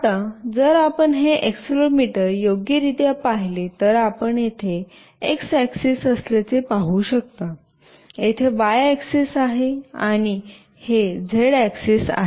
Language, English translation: Marathi, Now, if you see this accelerometer properly, you can see there is x axis here, here is the y axis, and this is the z axis